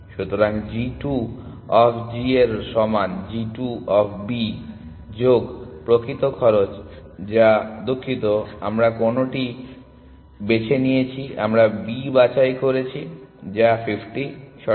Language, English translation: Bengali, So, g 2 of g is equal to g 2 of B plus the actual cost which is sorry which one have we picked we have pick B which is 50, correct